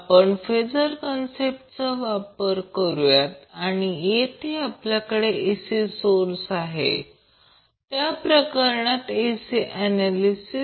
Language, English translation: Marathi, So the concept of phasor is very important in the case of AC circuit analysis